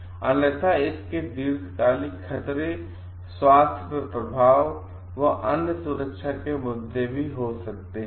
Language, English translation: Hindi, Otherwise it may have a long term hazardas health effects and other safety issues also